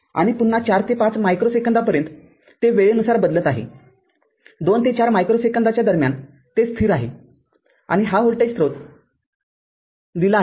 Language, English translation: Marathi, And again from 4 to 5 micro second, it is time varying; in between 2 to 4 micro second, it is constant; this voltage source is given right